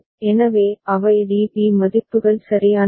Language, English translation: Tamil, So, those are the DB values right